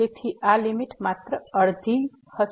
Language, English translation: Gujarati, So, this limit will be just half